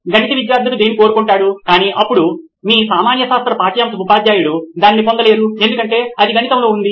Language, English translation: Telugu, Maths teacher wants this, but the science, now you can’t get it because it’s in maths